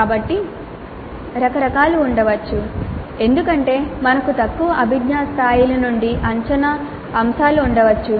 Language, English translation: Telugu, So there could be a variety of reasons because of which we may have assessment items from lower cognitive levels